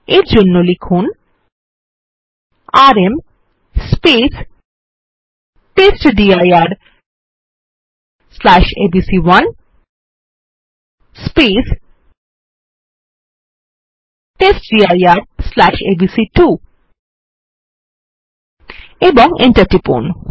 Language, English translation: Bengali, For this we would type rm testdir/abc1 testdir/abc2 and press enter